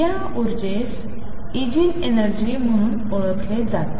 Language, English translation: Marathi, These energies are known as the Eigen energies